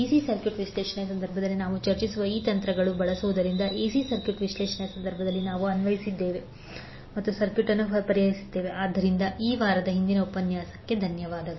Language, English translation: Kannada, So using these techniques which we discuss in case of a DC circuit analysis, same we applied in the case of AC circuit analysis and solved the circuit so with this week close over today's session thank you